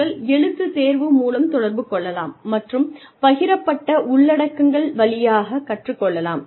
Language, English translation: Tamil, And, you can communicate via written test, and learn via shared content